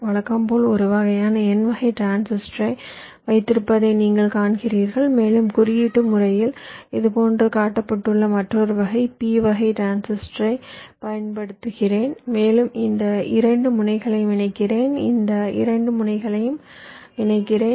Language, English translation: Tamil, you see, just as usual, i have a, this kind of a n type transistor, and i use another back to back p type transistor, symbolically shown like this, and i connect these two ends